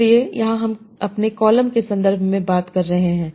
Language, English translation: Hindi, So here we are talking about in terms of our columns